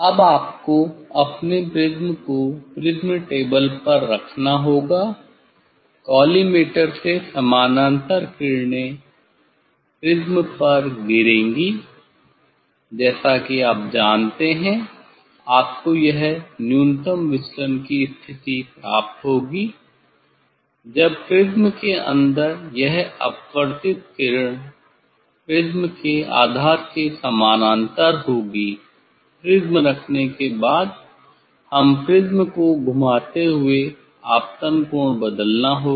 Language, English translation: Hindi, then you have to put your prism on the prism table from collimator the parallel rays will fall on the prism, as we know that this you will get minimum deviation position when this refracted ray inside the prism will be parallel to the base of the prism, after putting the prism we have to change the incident angle rotating the prism